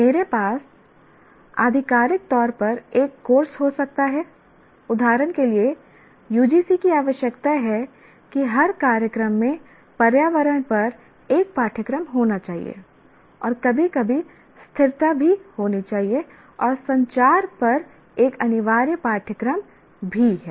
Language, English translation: Hindi, I may have a course officially put in, for example, UGC requires that every program should have a course on environment and also sometimes sustainability